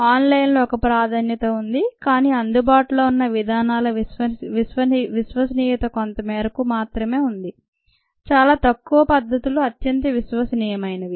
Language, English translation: Telugu, online, a preferred, but ah, the reliability of the methods available are, to a certain extent, very few methods are highly reliable